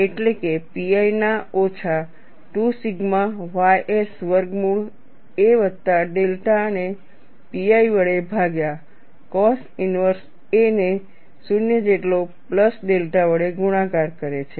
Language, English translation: Gujarati, So, essentially, I get sigma minus 2 sigma ys divided by pi multiplied by cos inverse a by a plus delta equal to 0